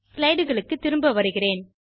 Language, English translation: Tamil, I have returned to the slides